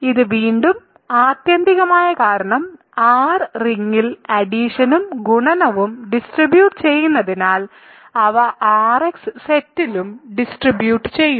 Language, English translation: Malayalam, This is also again ultimately because addition and multiplication distribute in the ring R, so they distribute in the set R[x] also